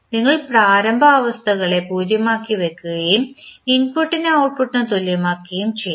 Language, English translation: Malayalam, We will set the initial states to 0 and then we will equate input to output